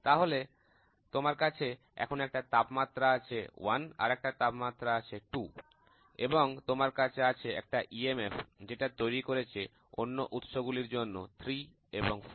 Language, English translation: Bengali, So, you have a temperature 1 here, you have a temperature 2, and temperature 1 here 2 here and you have an EMF, which is created 3 and 4 are the other sources